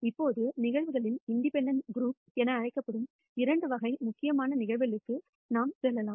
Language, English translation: Tamil, Now, we can go on to de ne two important types of events what is called the independent set of events